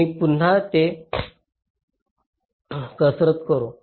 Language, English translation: Marathi, let me just workout here again